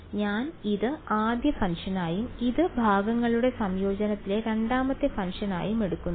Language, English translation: Malayalam, So, I am taking this as the first function and this as the second function in integration by parts